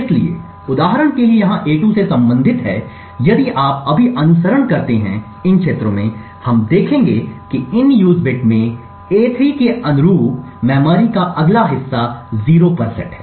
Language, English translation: Hindi, So, corresponding to a2 over here for instance if you just follow these fields, we see that the next chunk of memory corresponding to a3 the in use bit is set to 0